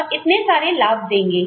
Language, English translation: Hindi, So, these are the added benefits